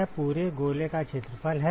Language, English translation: Hindi, It is the area of the whole sphere right